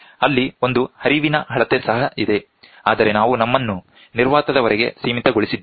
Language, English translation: Kannada, There is a flow measurement also there, but we are restricting ourselves up to vacuum